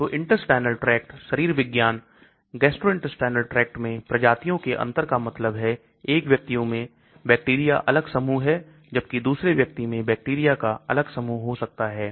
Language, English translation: Hindi, so physiology of the intestinal tract, species differences in gastrointestinal tract that means one person may have different set of bacteria, another person may have different set of bacteria